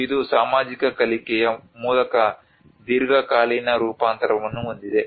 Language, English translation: Kannada, And this has a long term adaptation through social learning